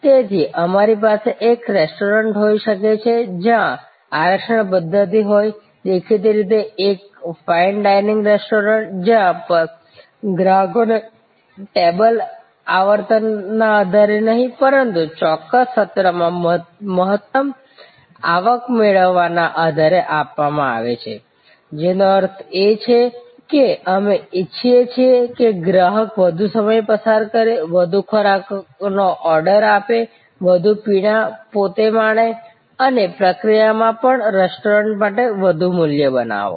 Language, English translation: Gujarati, So, we can have a restaurant which has a reservation system; obviously, a fine dining restaurant, where tables are given to customers not on the basis of frequency, but on the basis of maximizing the revenue from a particular session, which means that, we want the customer to spent more time, order more food, more drinks, enjoy themselves and in the process also, create more value for the restaurant